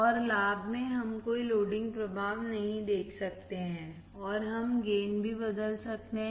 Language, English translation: Hindi, And in advantage we cannot see any loading effect, and we can also change the gain